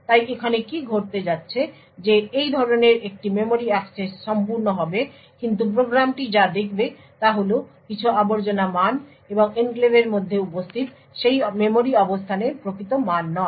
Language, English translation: Bengali, So what is going to happen over here is that such a memory access would complete but what the program would see is some garbage value and not the actual value corresponding to that memory location present inside the enclave